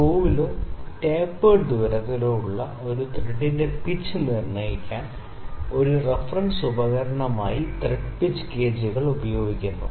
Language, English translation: Malayalam, So, the thread pitch gauges are used as a reference tool in determining the pitch of a thread that is on the screw or in the tapered hole